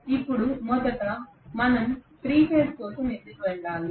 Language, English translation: Telugu, Now first of all why do we have to go for 3 phase